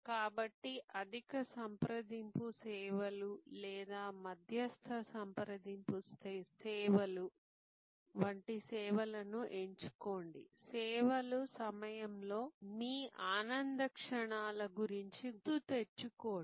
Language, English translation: Telugu, So, choose services like high contact services or medium level of contact services, thing about your moments of joy during the services